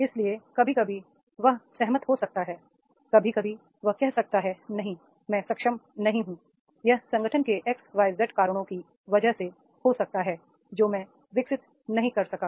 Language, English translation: Hindi, So, sometimes it may agree, he may agree, sometimes he may say no, this is not that I am not capable, it is because of the X, Y, Z reasons of the organizations that I could not deliver